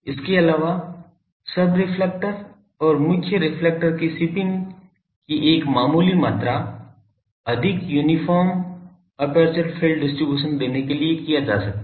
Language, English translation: Hindi, Also a modest amount of shipping of the sub reflector and the main reflector can be carried out in order to give a more uniform aperture field distribution